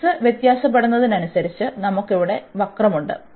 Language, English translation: Malayalam, So, as the x varies, we have the curve here